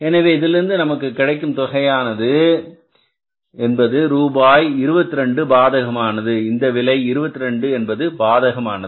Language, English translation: Tamil, This will be 686 minus 6890 is rupees 22 adverse